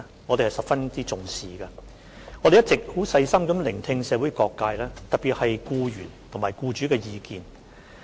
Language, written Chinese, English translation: Cantonese, 我們一直細心聆聽社會各界的意見，特別是僱員及僱主的意見。, We have been listening attentively to the views of various social sectors particularly those of employees and employers